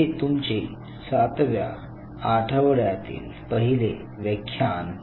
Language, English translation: Marathi, So, this is your week 7 lecture 1